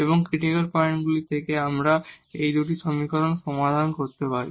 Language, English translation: Bengali, And the critical points we can now get by solving these 2 equations